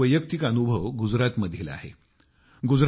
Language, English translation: Marathi, I also have had one such personal experience in Gujarat